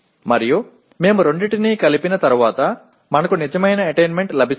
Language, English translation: Telugu, And once we combine the two then we get the actual attainments